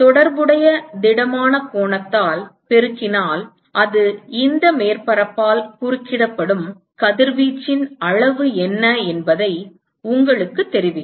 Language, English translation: Tamil, Multiplied by the corresponding solid angle will tell you what is the amount of radiation that is intercepted by this surface